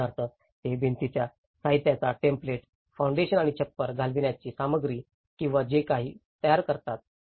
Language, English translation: Marathi, For instance, they develop a template of walling material, the foundation and the roofing material or whatever